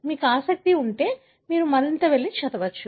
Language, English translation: Telugu, If you are interested you can go and read more